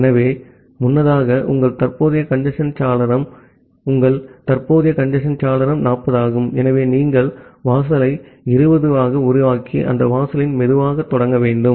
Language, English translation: Tamil, So, earlier your current congestion window, so your current congestion window is 40; so you make the threshold as 20, and have slow start up to that threshold